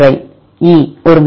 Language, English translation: Tamil, E 1 time